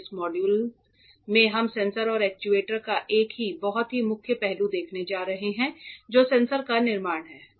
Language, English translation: Hindi, In this module we are going to see one very core aspect of sensors and actuators, which is fabrication of sensors correct